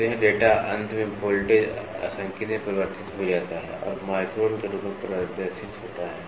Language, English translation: Hindi, So, this data is finally, converted into voltage calibrated and displayed as microns